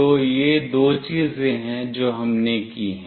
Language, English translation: Hindi, So, these are the two things that we have done